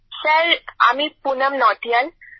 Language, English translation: Bengali, Sir, I am Poonam Nautiyal